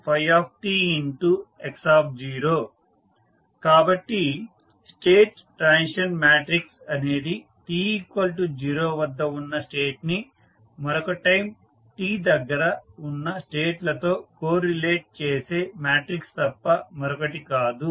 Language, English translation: Telugu, So, state transition matrix is nothing but the matrix which correlates any the states at time t is equal to 0 to any state of time t